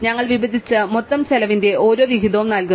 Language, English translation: Malayalam, We divide and we give each share of the total cost